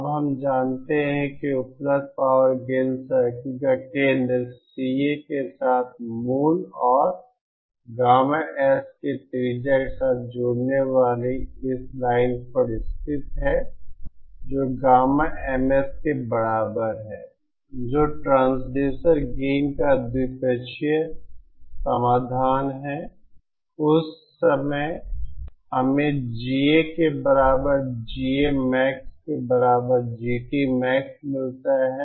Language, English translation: Hindi, Now we know that the center of the available power gain circles lie on this line joining the origin with CA and the radius for gamma S equal to gamma MS that is the bilateral solution of the transducer gain, at that point we get GA equal to GA max equal to GT max and at that point the radius of these available power gains circles is 0